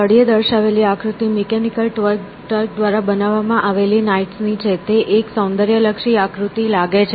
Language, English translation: Gujarati, And, the figure on the bottom is knights to a apparently created by the Mechanical Turk, looks quite a aesthetic figure to make